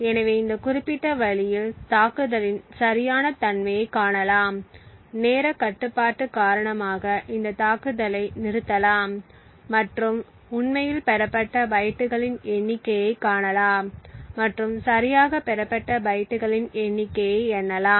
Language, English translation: Tamil, So, in this particular way we can find the correctness of the attack, so we can stop this attack due to time constraints and see the number of bytes that have actually been obtained and count the number of bytes that have actually been obtained correctly